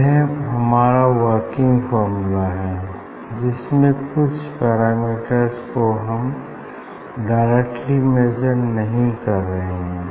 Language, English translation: Hindi, this is your working formula where even not measuring the sum parameter directly